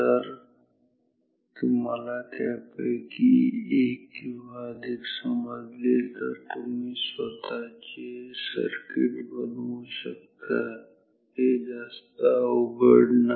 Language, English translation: Marathi, So, if you understand them one of one or few of them well, you can generate you can make your own circuits, not very difficult